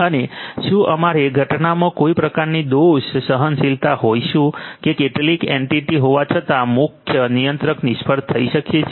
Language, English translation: Gujarati, And whether we are going to have some kind of fault tolerance in the event that some entity may be the main controller fails